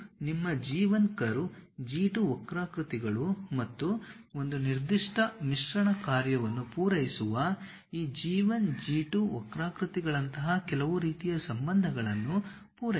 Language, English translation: Kannada, It satisfies certain kind of relations like your G 1 curve, G 2 curves and the intersection of these G 1, G 2 curves supposed to satisfy a certain blending functions